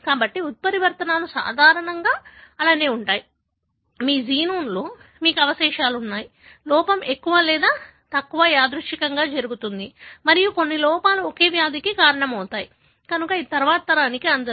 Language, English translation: Telugu, So, mutations are normally like that, you have the residues all over in your genome, the error happens more or less randomly and some errors, can cause a disease, therefore it does not get to the next generation